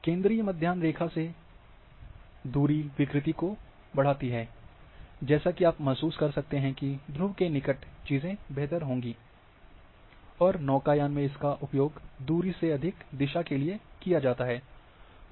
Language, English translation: Hindi, Distortion increase away from the central meridian as you can realize that near poles things are would be better, and used in sailing direction more important than distance